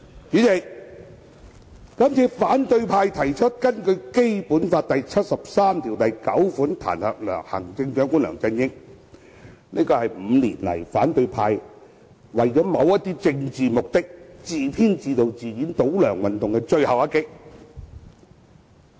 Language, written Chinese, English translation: Cantonese, 主席，這次反對派提出根據《基本法》第七十三條第九項彈劾行政長官梁振英，是這5年來為了某些政治目的而自編自導自演的倒梁運動的最後一擊。, President the current proposal to impeach Chief Executive LEUNG Chun - ying under Article 739 of the Basic Law is the final shot of the anti - LEUNG movement planned directed and performed by the opposition camp for achieving certain political objectives over the past five years